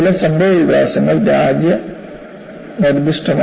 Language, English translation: Malayalam, And certain developments are country specific